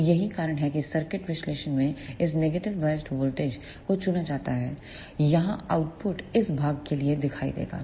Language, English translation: Hindi, So, that is why in the circuit analysis this negative biased voltage is chosen here the output will appear for this much of portion